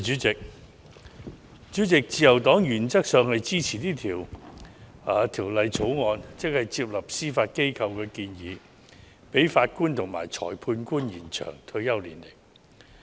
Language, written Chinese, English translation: Cantonese, 主席，自由黨原則上支持《2019年司法人員條例草案》，即接納司法機構的建議，延展法官和裁判官的退休年齡。, President the Liberal Party supports in principle the Judicial Officers Amendment Bill 2019 the Bill ie . we accept the Judiciarys proposal to extend the retirement age of Judges and Magistrates